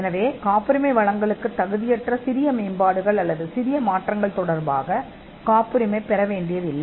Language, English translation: Tamil, So, small improvements or small changes, which do not merit a patent grant need not be patented